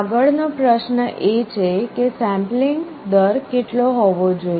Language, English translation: Gujarati, The next question is what should be the rate of sampling